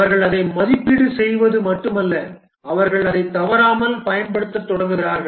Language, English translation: Tamil, It's not that they just evaluate it, they just start using it regularly